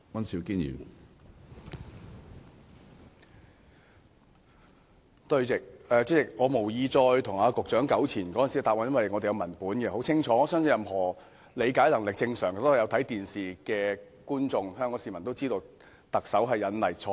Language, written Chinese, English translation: Cantonese, 主席，我無意再與局長糾纏當時的答案，因為我們有文本在手，文本很清楚，我相信任何理解能力正常、有收看電視的香港市民也知道，特首錯誤引例。, President I have no intention to further argue with the Secretary over the answer given back then for we have the transcript in hand . The text is clear enough . I believe any persons with normal comprehension capacity and have watched the television broadcast would know that the Chief Executive had cited wrongly